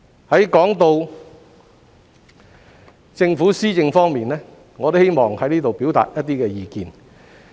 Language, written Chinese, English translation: Cantonese, 說到支持政府施政方面，我希望在這裏表達一些意見。, Speaking of supporting the Governments policy implementation I wish to state some of my views here